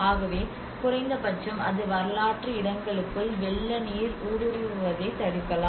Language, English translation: Tamil, So that at least it can obstruct the flood water penetrating into the historic sites